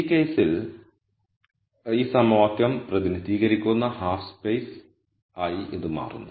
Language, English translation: Malayalam, In this case it will turn out that this is the half space that is represented by this equation